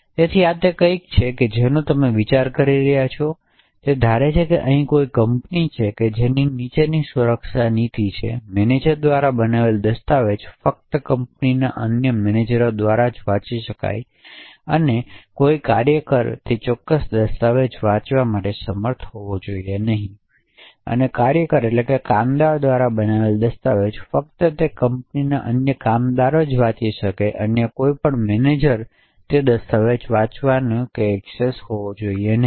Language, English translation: Gujarati, So this is something you can think about is assume that there is a company which has the following security policy, a document made by a manager can be only read by other managers in the company and no worker should be able to read that particular document, document made by a worker can be only read by other workers in that particular company and no manager should have any access to read that particular document